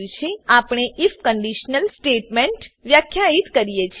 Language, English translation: Gujarati, Then, we define an if conditional statement